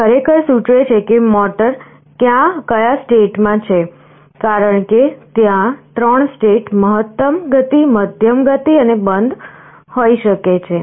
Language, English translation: Gujarati, It actually indicates in which state the motor is in, because there can be 3 states, maximum speed, medium speed and off